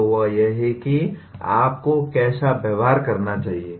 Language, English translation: Hindi, So that is what how you should behave